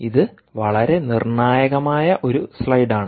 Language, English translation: Malayalam, this is a very critical slide